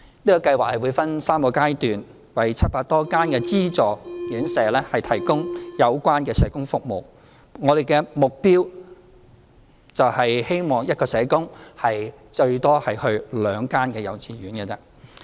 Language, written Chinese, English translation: Cantonese, 這個計劃會分3個階段，為700多間的資助院舍提供有關的社工服務，我們的目標是希望一名社工最多服務兩間幼稚園。, This scheme will provide social work services in three phases for more than 700 subsidized institutions . For our goal we hope that one social worker will serve two kindergartens at the most